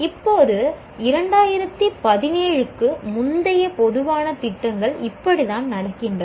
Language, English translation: Tamil, Now, this is how the general programs in pre 2017 were happening